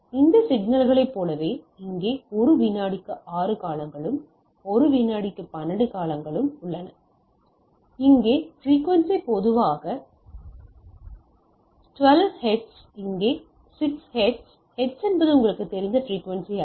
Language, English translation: Tamil, Like this signal as repeatability is higher than this like here 6 periods in 1 second, here 12 periods in 1 second, so here frequency is typically 12 hertz here 6 hertz right, so hertz is the unit of frequency you know